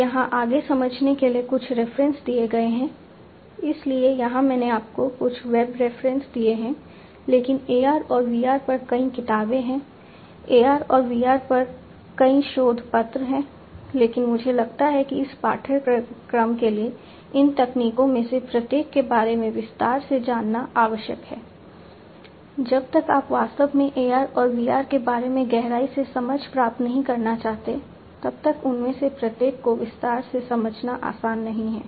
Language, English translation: Hindi, So, here I have given you some of the web references, but there are many books on AR and VR, there are many research papers on AR and VR, but I think for this course that, you know, going through in detail of each of these technologies is necessary, it is not easy to understand each of them in detail unless you want to really you know get an in depth understanding though about AR and VR